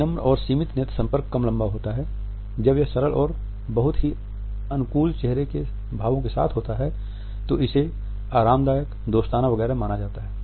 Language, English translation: Hindi, Soft and restricted eye contact is less prolonged, it is accompanied by relaxed and very friendly facial expressions, it is perceived as casual friendly warm etcetera